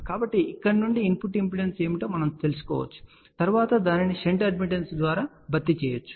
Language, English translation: Telugu, So, we can find out what is the input impedance from here which can then be replaced by a shunt admittance